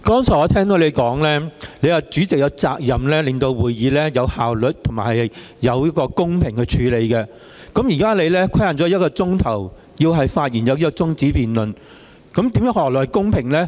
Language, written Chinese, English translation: Cantonese, 剛才我聽到你說主席有責任令會議有效率和公平地進行，但現在你把中止待續議案的發言時間規限為1小時，這樣又何來公平呢？, You said earlier that the President has the duty to ensure that the meeting is conducted efficiently and fairly but now you have limited the speaking time on the adjournment motion to one hour . How can this be fair when some Members can speak and some cannot?